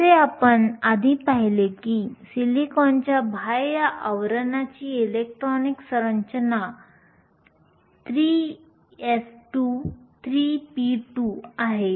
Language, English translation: Marathi, As we saw earlier, the electronic configuration of the outer shell of silicon is 3 s2 3 p2